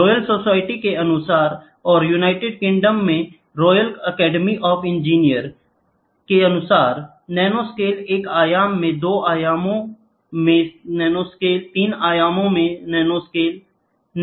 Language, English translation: Hindi, According to royal society, and royal academy of engineers in United Kingdom, nanoscale is one in one dimension, nanoscale in two dimension, nanoscale in three dimension